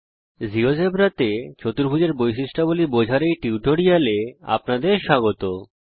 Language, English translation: Bengali, Welcome to this tutorial on Understanding Quadrilaterals Properties in Geogebra